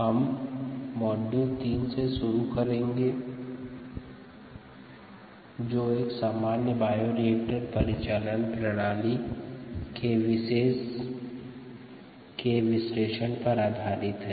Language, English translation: Hindi, today we will a begin module three ah, which is on analysis of common bioreactor operating modes